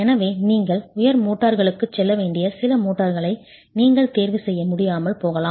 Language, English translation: Tamil, So you might not be able to choose some motors, you might have to go for higher motors